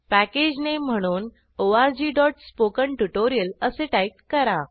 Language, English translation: Marathi, Type the Package Name as org.spokentutorial Then click on Next